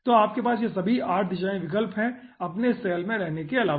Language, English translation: Hindi, so all those 8 directions you are having apart from staying in the own cell